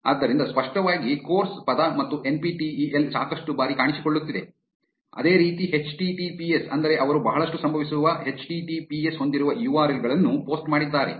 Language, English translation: Kannada, So, as evident, the word course and NPTEL is appearing a lot of times, similarly https which means they have posted URLs containing https which are occurring a lot